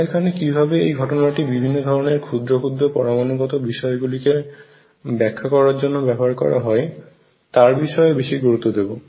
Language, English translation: Bengali, What I want to focus on in this lecture is how this phenomena is used in explaining different subatomic events